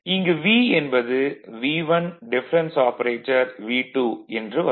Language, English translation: Tamil, Now, if V 1 it is difference operator